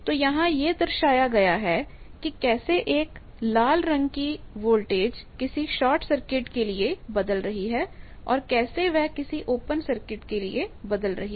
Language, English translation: Hindi, So, this is shown here that how the voltage the red colored one voltage varies for a shorted one how it varies for open one, how it varies in the general case this we have already seen